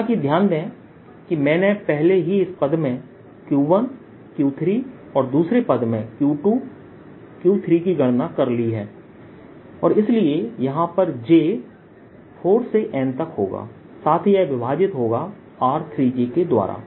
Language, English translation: Hindi, however, notice that i have already accounted for q one, q three in this term and q two, q three in the second term and therefore i have j equals four through n over r three, j and so on